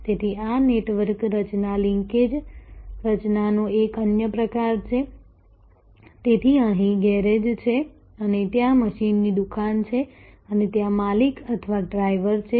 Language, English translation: Gujarati, So, this is another kind of network formation linkage formation, so here is the garage and there is the machine shop and there is the owner or driver